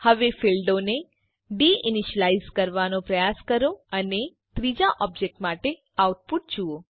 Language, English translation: Gujarati, Now, try de initializing the fields and see the output for the third object